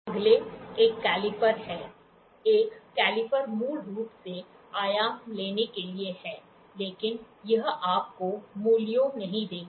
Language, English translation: Hindi, The next one is a caliper, a caliper is basically to take the dimensions but it will not give you the values